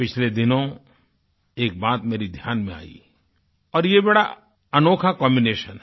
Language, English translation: Hindi, In the past, one thing came to my attention and it happens to be a very unique combination